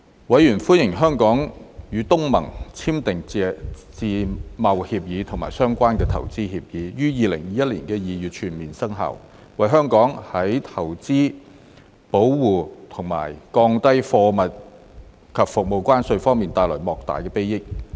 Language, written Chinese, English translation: Cantonese, 委員歡迎香港與東盟簽訂的自由貿易協定及相關的投資協定於2021年2月全面生效，為香港在投資保護和降低貨物及服務關稅方面帶來莫大裨益。, Members welcomed the full implementation of the Free Trade Agreement and the related Investment Agreement between Hong Kong and the Association of Southeast Asian Nations in February 2021 which would bring much benefit to Hong Kong in terms of investment protection and lowering tariffs on goods and services